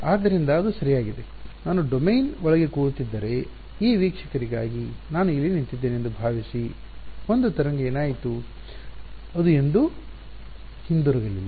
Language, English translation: Kannada, So, it is like right if I was sitting inside the domain supposing I was standing here for this observer what happened a wave went off never came back